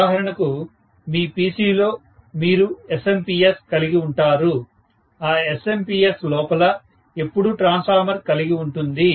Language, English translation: Telugu, For example, in your PC you have that SMPS, that SMPS will always have a transformer inside